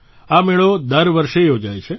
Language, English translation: Gujarati, This fair takes place every year